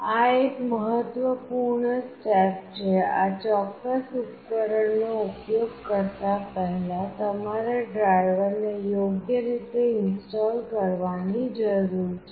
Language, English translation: Gujarati, This is an important step; prior to using this particular device that you need to install the drivers properly